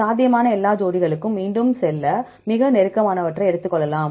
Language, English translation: Tamil, Then we repeat for all possible pairs and take the closest ones